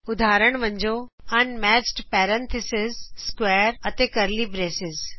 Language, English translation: Punjabi, For Example: Unmatched parentheses, square and curly braces